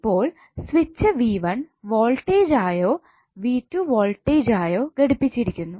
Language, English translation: Malayalam, So you have switch connected either for voltage that is V1 or 2 voltage V2